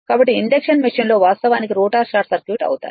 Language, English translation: Telugu, So, rotor actually for induction machine right rotor are short circuited right